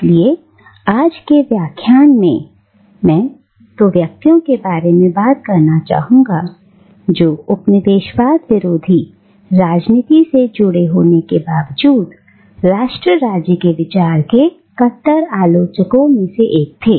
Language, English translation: Hindi, So, in today’s lecture I want to talk about two individuals who in spite of their being engaged with the politics of anti colonialism, were among the staunchest critics of the idea of nation state